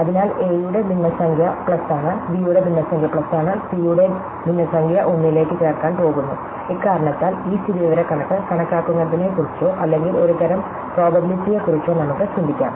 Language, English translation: Malayalam, So, the fraction of a is plus, the fraction of b is plus, fraction of c is and so on is going to added to 1 and because of this, we can also think of this statistical estimate or a kind of probability